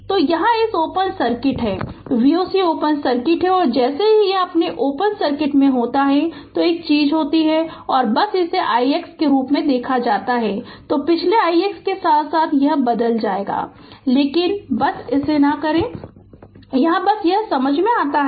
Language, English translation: Hindi, So, here it is open circuit V o c is open circuit and as soon as it is open circuit one thing is there and you just i kept it i x as it is i so, with the previous i x i it will change, but just i did not do it just it is understandable right